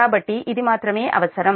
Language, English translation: Telugu, so this is actually